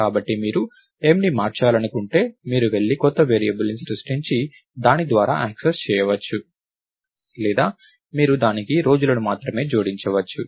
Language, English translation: Telugu, So, if you want to manipulate m, you can either, go and create a new variable and access through it, or you can only add days to it